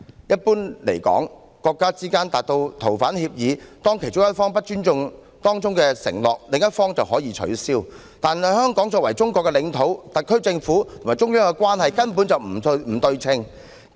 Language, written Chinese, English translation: Cantonese, 若國家之間達成逃犯協議，其中一方不尊重當中承諾，另一方可以取消，但香港作為中國的領土，特區政府與中央的關係根本不對等。, After an agreement on the surrender arrangements is concluded between two countries if one party fails to respect the undertaking the other party may cancel it . However given that Hong Kong is a territory of China the SAR Government and the Central Authorities are simply not on equal footing